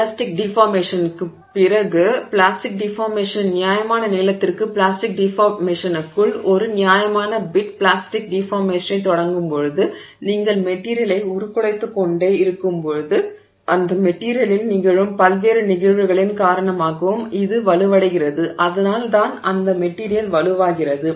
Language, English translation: Tamil, After the elastic deformation when you start the plastic deformation for fair bit into the plastic deformation, for a fair stretch of the plastic deformation as you keep deforming the material it also becomes stronger due to various other phenomena that is occurring in that material right so that is how that material is becoming stronger so what is that phenomenon that is happening in that material in this regime so here what is this phenomenon that is happening that is making it stronger